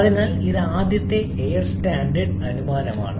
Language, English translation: Malayalam, So, this is the first air standard assumption